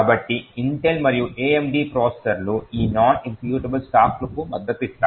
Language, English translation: Telugu, So, both Intel and AMD processors support these non executable stacks